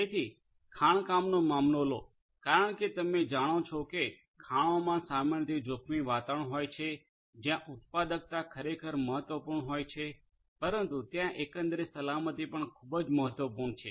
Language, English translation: Gujarati, So, take the case of mining, in mines as you know that mines typically are risky environments where productivity is indeed important, but overall safety is also very important